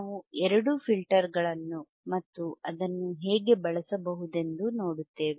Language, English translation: Kannada, We will see both the filters and we will see how it can be used